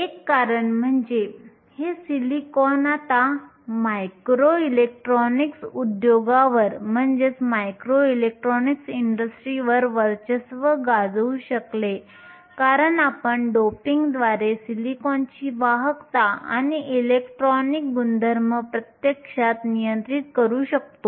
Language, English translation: Marathi, One of the reasons, this silicon has now come to dominate the micro electronics industry is because we can actually control the conductivity and the electronic properties of silicon by doping